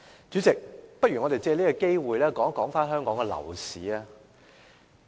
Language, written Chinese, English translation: Cantonese, 主席，我們不如藉此機會討論香港的樓市。, Chairman let us take this opportunity to discuss the property market in Hong Kong